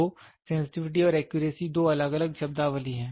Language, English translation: Hindi, So, the sensitivity and accuracy are two different terminologies